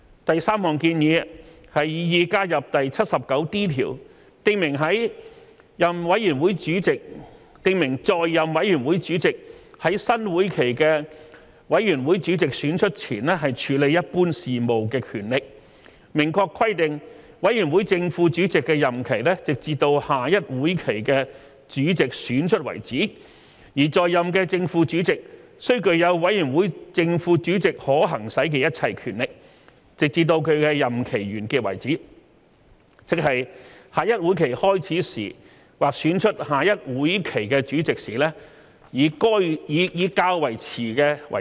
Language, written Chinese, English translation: Cantonese, 第三項建議是擬議加入第 79D 條，訂明在任委員會主席在新會期的委員會主席選出前處理一般事務的權力，明確規定委員會正副主席的任期直至下一會期的主席選出為止，而在任的正副主席須具有委員會正副主席可行使的一切權力，直至其任期完結為止，即下一會期開始時或選出下一會期的主席時，以較遲者為準。, The third proposal is to add Rule 79D which provides the powers of the committee chairman in office to deal with normal business prior to the election of the committee chairman for a new session . It provides explicitly that the chairman and deputy chairman of a committee shall hold office until the chairman for the next session is elected in that next session and that the chairman and deputy chairman in office shall have all the powers that may be exercised by a chairman or deputy chairman of the committee until his or her term of office ends either upon the commencement of the next session or the election of the chairman for the next session whichever is the later